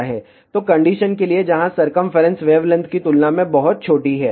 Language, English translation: Hindi, So, for the condition, where circumference is much much smaller than wavelength